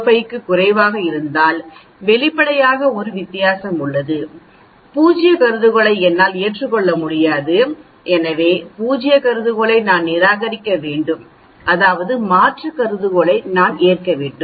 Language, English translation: Tamil, 05 obviously, there is a difference so obviously, I cannot accept null hypothesis so I have to reject the null hypothesis that means, I have to accept the alternate hypothesis